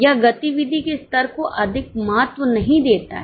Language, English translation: Hindi, It does not give much importance to level of activity